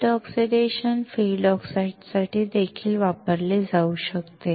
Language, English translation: Marathi, The wet oxidation can be used for the field oxides